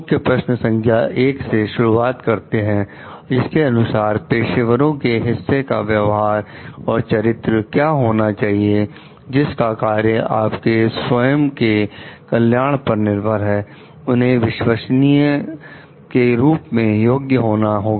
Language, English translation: Hindi, Starting with Key Question 1 that is what are the characteristics or behaviour of the part of the professionals on whose work your own welfare depends would qualify them as trustworthy